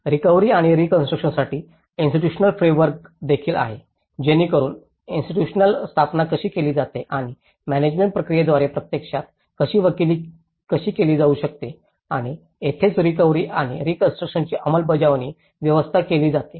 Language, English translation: Marathi, There is also the Institutional Framework for Recovery and Reconstruction, so how the institutional set up and how it can actually be advocated through a management process and this is where the implementation arrangements for Recovery and Reconstruction